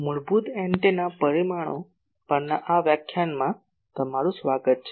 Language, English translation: Gujarati, Welcome to this lecture on basic antenna parameters